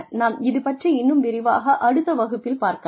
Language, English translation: Tamil, We will talk more about this in detail in the next class